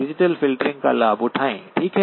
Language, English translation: Hindi, Take advantage of digital filtering, okay